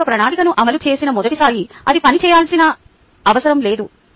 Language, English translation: Telugu, right, it is not necessary that the first time you implement a plan it will work